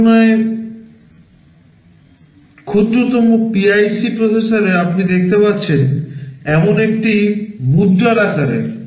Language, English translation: Bengali, In comparison the smallest PIC processor is a fraction of the size of a coin as you can see